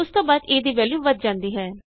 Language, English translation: Punjabi, After that the value of a is incremented